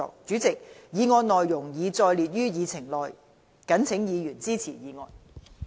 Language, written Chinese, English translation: Cantonese, 主席，議案內容已載列於議程內。謹請議員支持議案。, President I urge Members to support the motion as set out on the Agenda